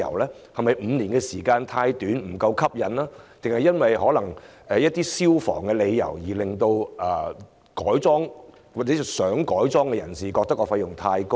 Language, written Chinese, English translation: Cantonese, 是否5年時間太短，吸引力不夠，還是因為消防問題，以致想改裝的人覺得費用太高昂？, Is the five - year period too short for it to be attractive? . Or it is because of fire safety issues that the interested parties have found conversion too costly?